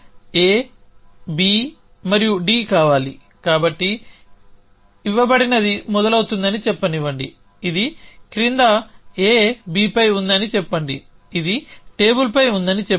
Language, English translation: Telugu, So, we want that A B and D so let a say a given starts it is the following A is on B lets say this is on the table